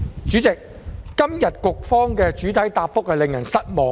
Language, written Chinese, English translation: Cantonese, 主席，局方今天的主體答覆令人失望。, President I am extremely disappointed with the main reply of the Bureau today